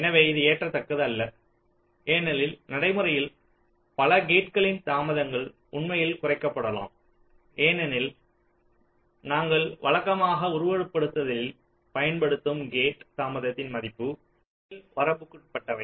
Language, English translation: Tamil, ok, so this is not acceptable because in practice many gate delays can actually get reduced because the gate delays value that we usually use in simulation they are upper bound